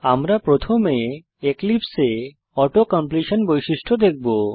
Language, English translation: Bengali, we will first look at Auto completion feature in Eclipse